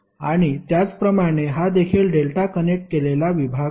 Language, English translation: Marathi, And similarly, this also is a delta connected section